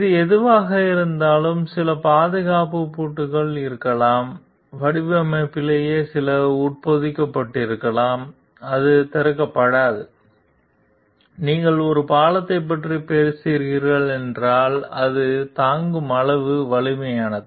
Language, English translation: Tamil, Given whatever it is so, there could be some safety lock, there could be some something embedded in the design itself like which does not open, if you are talking about devices of you are talking of a bridge, then it is strong enough to withstand like the heavy traffic